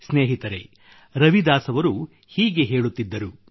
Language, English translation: Kannada, Friends, Ravidas ji used to say